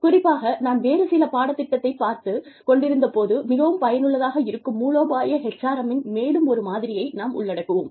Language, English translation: Tamil, Specifically, we will cover one more model, of strategic HRM, that I found to be very useful, as I was going through, some material